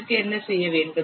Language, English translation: Tamil, What you have to do